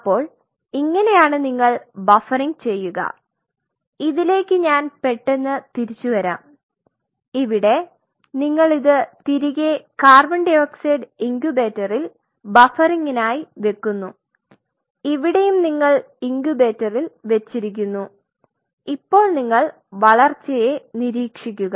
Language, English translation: Malayalam, So, this is your how we do the buffering I will I will come to this very soon and here is your put it back in co 2 incubator for buffering and here also where you left it in the incubator ok and now you monitor the growth